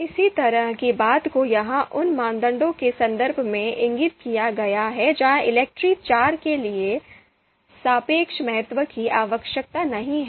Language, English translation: Hindi, The similar thing is indicated here in the in the in the context of criteria where relative importance is not needed for ELECTRE IV